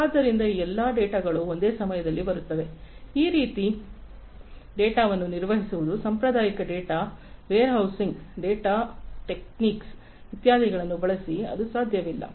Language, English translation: Kannada, So, all these data coming at the same time, handling this kind of data, using conventional data warehousing, database techniques, etcetera, it is not possible